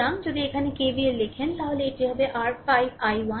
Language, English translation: Bengali, If you write KVL here, KVL here, so it is actually your 5 i 1 right